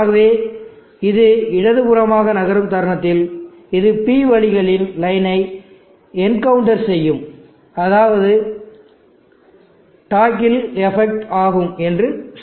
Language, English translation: Tamil, So let us say it moves to the left like this the moment it encounters the P ways line there is toggle effect